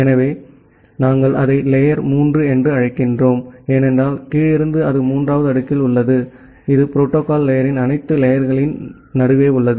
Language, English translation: Tamil, So, we call it as the layer 3, because from bottom up it is at the third layer it is in the middle of all the layers of the protocol stack